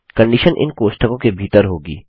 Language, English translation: Hindi, The condition will be inside these parenthesis